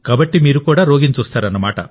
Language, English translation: Telugu, So you see the patient as well